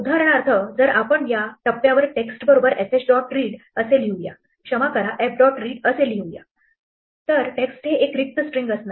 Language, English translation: Marathi, If for instance, at this point we were to say text equal to fh dot read, sorry f dot read, then text will be empty string